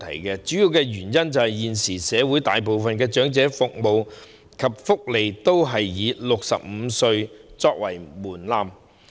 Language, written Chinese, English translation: Cantonese, 其主要原因是，現時社會大部分長者服務及福利均以65歲為門檻。, The main cause is that the threshold of most elderly services and welfare is set at 65 years